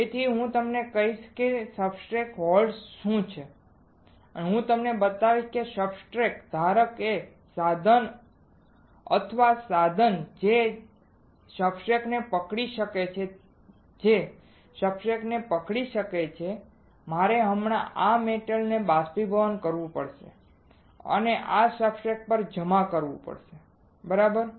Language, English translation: Gujarati, So, I will tell you what are substrate holders I will show it to you substrate holder is the is the equipment or a tool that can hold the substrate, that can hold the substrate right now I have to evaporate this metal right and deposit on these substrates right